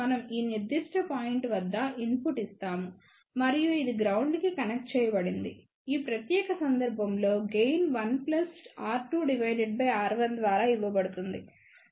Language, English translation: Telugu, We would be giving input at this particular point and this would be grounded in that particular case gain will be given by 1 plus R 2 by R 1